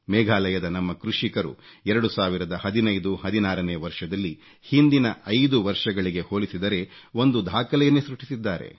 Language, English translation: Kannada, Our farmers in Meghalaya, in the year 201516, achieved record production as compared to the last five years